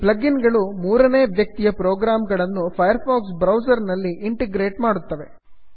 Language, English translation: Kannada, Plug ins integrate third party programs into the firefox browser